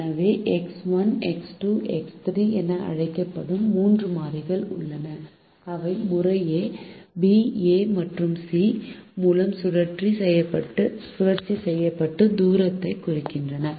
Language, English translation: Tamil, so there are three variables, which are called x one, x two, x three, which represent the distance cycle by a, b and c respectively